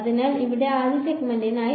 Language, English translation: Malayalam, So, for the first segment over here